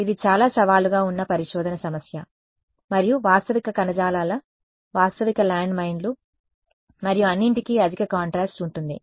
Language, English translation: Telugu, This is why this is a very challenging research problem and realistic tissues realistic landmines and all they will have high contrast right